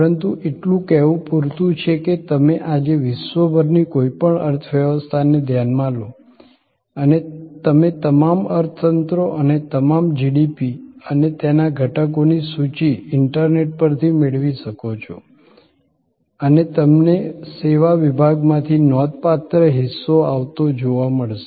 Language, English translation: Gujarati, But, suffice it to say that you take any economy around the world today and on the internet, you can get list of all economies and all the GDP's and their components and you will find substantial significant part comes from the service sector